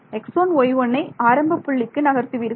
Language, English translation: Tamil, Move x 1, y 1 to the origin then